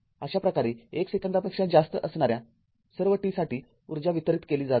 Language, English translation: Marathi, Thus, energy is being delivered for all t greater than 1 right second